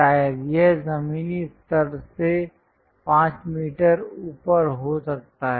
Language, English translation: Hindi, Perhaps, it might be 5 meters above the ground level